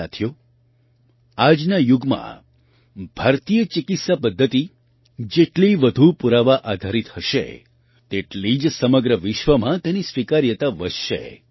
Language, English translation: Gujarati, Friends, In today's era, the more evidencebased Indian medical systems are, the more their acceptance will increase in the whole world